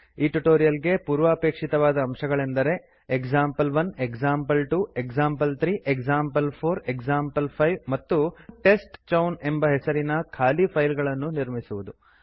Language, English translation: Kannada, The prerequisite for this tutorial is to create empty files named as example1, example2, example3, example4, example5, and testchown